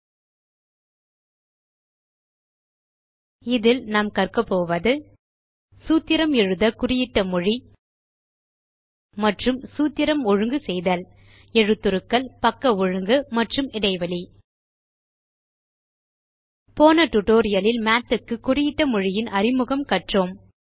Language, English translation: Tamil, In this tutorial, we will cover the following topics: Mark up language for writing formula and Formula formatting: Fonts, Alignment, and Spacing In the last tutorial, we introduced the mark up language for Math